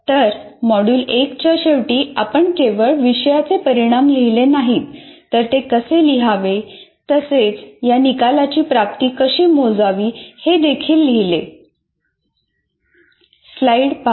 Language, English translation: Marathi, So, at the end of module 1, we not only wrote outcomes of a program, outcomes of a course and how to write that as well as how to measure the attainment of these outcomes